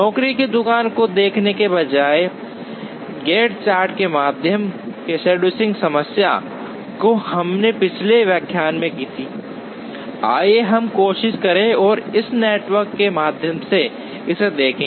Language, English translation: Hindi, Instead of looking at the job shop scheduling problem through a Gantt chart, which is what we did in the previous lecture, let us try and look at it through this network